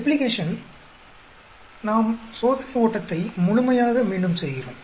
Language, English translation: Tamil, Replication, we completely repeat the experimental run